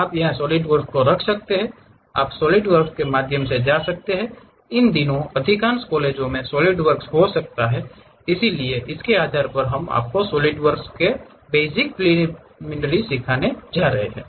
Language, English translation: Hindi, You can find these solidworks, you can go through solidworks, most of the colleges these days might be having solid work, so, based on that we are going to teach you basic preliminaries on solidworks